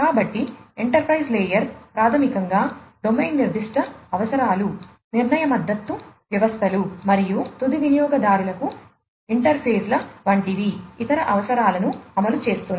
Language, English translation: Telugu, So, the enterprise layer basically implements domain specific requirements, decision support systems, and other requirements such as interfaces to end users